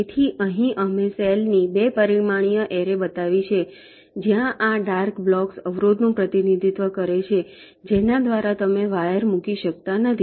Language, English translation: Gujarati, here we have showed a two dimensional array of cell where this dark block represent the obstacle through which we cannot